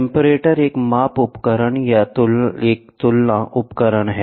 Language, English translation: Hindi, Comparator, measurement device or a comparator device